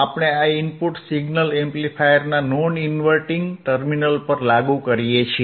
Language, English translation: Gujarati, We apply this input signal to the non inverting terminal of the amplifier